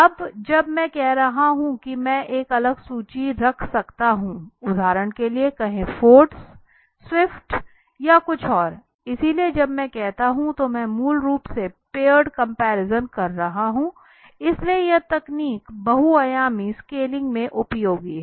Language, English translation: Hindi, Now when I am saying I can place a different list this is ford let say anything like for example ford right this is let say swift or something so when I am doing it I am doing basically the paired comparisons so this is useful in techniques like multi dimensional scaling